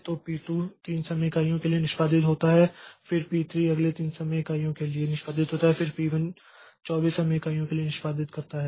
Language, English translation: Hindi, So, since p2 came first so p2 is taken up for execution so first so p2 executes for three time units then p3 comes as our next came p3 so p3 executes for three time units and then P1 executes for 24 time unit